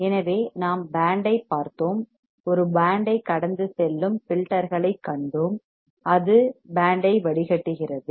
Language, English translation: Tamil, So, we have seen band and we have seen the filters that will pass a band and it will filter out band